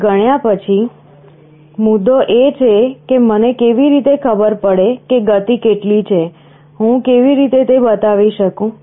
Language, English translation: Gujarati, Now after counting the point is how do I know what is the speed, how do I show